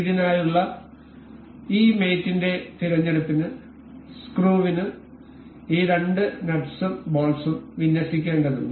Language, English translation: Malayalam, This mates selection for this the screw needs the access of this the two nut and the bolt to be aligned